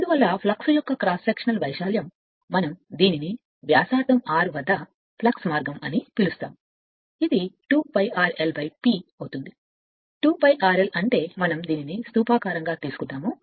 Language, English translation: Telugu, So, that is why cross sectional area of flux we call it is a flux path at radius r, it will be 2 pi r l upon P; 2 pi r l is that your so we are assume this is cylindrical